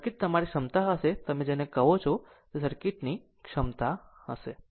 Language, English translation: Gujarati, So, circuit will be like your capacity what you call that your capacity circuit right